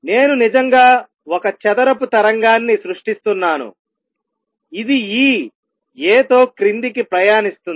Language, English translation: Telugu, So, and show that what it looks like is I am actually creating a square wave which travels down with this being A